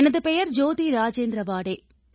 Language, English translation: Tamil, My name is Jyoti Rajendra Waade